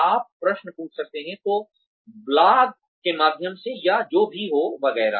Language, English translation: Hindi, You could ask questions, either via blogs, or, whatever, etcetera